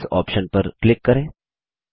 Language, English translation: Hindi, Click on the Settings option